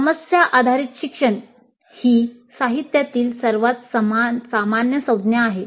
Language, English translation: Marathi, Further, problem based learning is the most common term in the literature